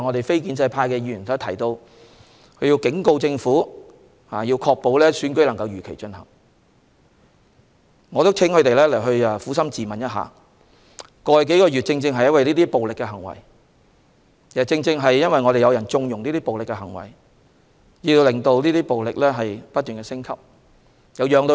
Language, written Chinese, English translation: Cantonese, 非建制派議員剛才指出，他們警告政府必須確保如期進行選舉，但我想請他們撫心自問，過去數月正因為這些暴力行為，以及有人縱容這些暴力行為，導致暴力不斷升級。, Non - establishment Members have just warned the Government that it must ensure the holding of the Election as scheduled . However may I ask them to be honest with themselves it is precisely due to such acts of violence over the past few months and the connivance of some people that have resulted in the escalation of violence